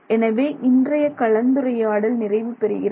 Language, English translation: Tamil, So, that's our discussion for today